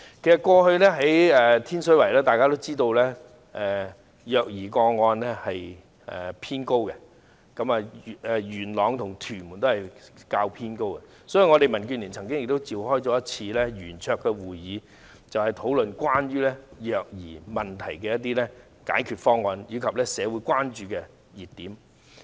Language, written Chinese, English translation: Cantonese, 其實大家也知道，過去天水圍、元朗和屯門的虐兒個案偏高，所以民主建港協進聯盟曾召開圓桌會議，討論關於虐兒問題的解決方案，以及社會的關注點。, Actually we all know that the number of child abuse cases in Tin Shui Wai Yuen Long and Tuen Mun has been on the high side . The Democratic Alliance for the Betterment and Progress of Hong Kong has held a round - table meeting to discuss the solution to child abuse issues and the points of concern in society